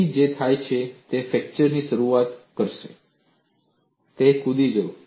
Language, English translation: Gujarati, So, what happens is the fracture will initiate and it will jump